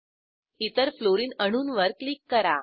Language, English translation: Marathi, Click on the other Fluorine atom